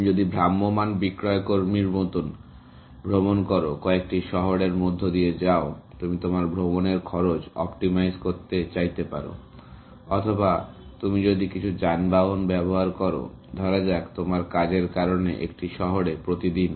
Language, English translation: Bengali, If you are traveling like a traveling salesman, going through a few cities; you may want to optimize the cost of your tour, or if you are using some vehicle, let say, daily in a city, because of your job